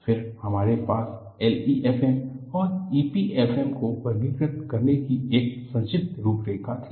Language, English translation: Hindi, Then, we had a brief outline of how to classify L E F M and E P F M